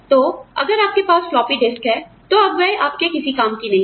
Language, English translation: Hindi, So, if you have a floppy disk, it is of no use to you